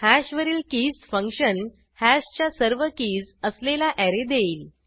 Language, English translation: Marathi, keys function on hash, returns an array which contains all keys of hash